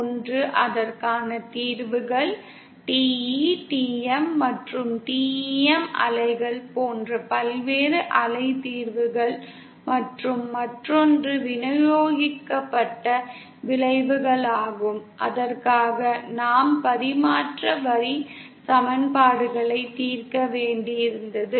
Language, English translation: Tamil, One was the wave nature for which we had the solutions, various wave solutions like like the TE, TM and TEM waves and the other is the distributed effects for which we had to solve the transmission line equations